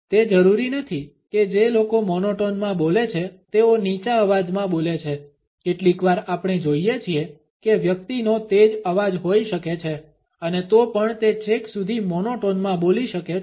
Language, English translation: Gujarati, It is not necessary that people who speak in a monotone speak in a low pitched voice, sometimes we may feel that the person may have a booming voice and still may end up speaking in a monotone